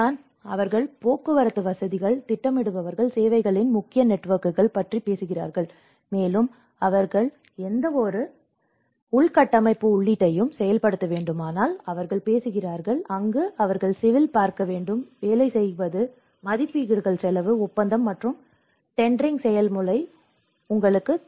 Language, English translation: Tamil, And here that is where they talk about the transport facilities, the planners, they talk about the key networks of the services, and this is where they talk about if you have to implement any infrastructural input that is where they need to look at the civil works, you know the estimations, costing, the contract and tendering process